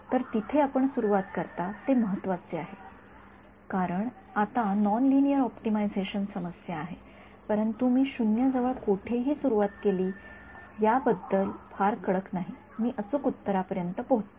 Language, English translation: Marathi, So, where you initialize matters because now this is a non linear optimization problem, but if I started anywhere close to 0 not being very strict about it, I reach the correct answer that much is clear